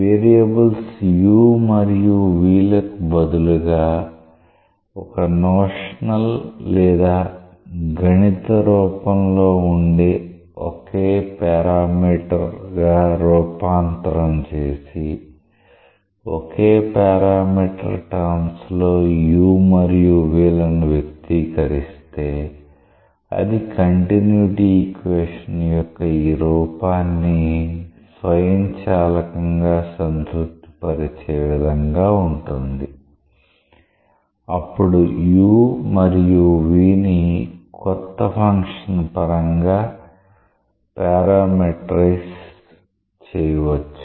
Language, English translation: Telugu, But just in a notional or a mathematical form if instead of the 2 variables u and v; you could transform into a single parameter that is expressed u and v in terms of a single parameter, that satisfies automatically this form of the continuity equation; then u and v may be parametrized with respect to that new function